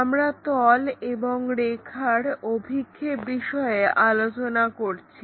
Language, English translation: Bengali, We are covering Projection of Planes and Lines